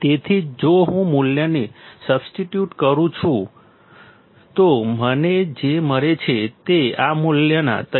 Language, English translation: Gujarati, So, if I substitute the value, what I find is 3